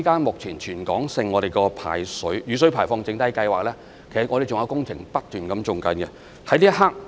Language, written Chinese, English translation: Cantonese, 目前在全港的雨水排放整體計劃下，還有工程不斷在進行中。, Currently under the territory - wide drainage master plan works are being carried out continuously